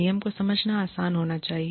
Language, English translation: Hindi, The rule should be, easy to understand